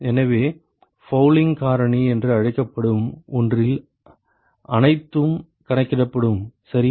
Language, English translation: Tamil, So, all that is accounted for in something called the fouling factor ok